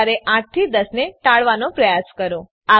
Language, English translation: Gujarati, Avoid 8 to 10AM if you can